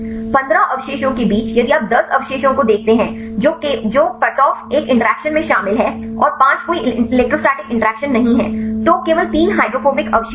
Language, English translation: Hindi, Among the 15 residues if you see 10 residues which are involved in cutoff an interactions and 5 are no electrostatic interactions, only 3 are hydrophobic residues